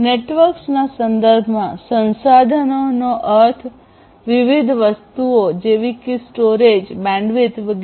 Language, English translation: Gujarati, We are talking about resources; resources in the context of networks mean different things such as storage, bandwidth etc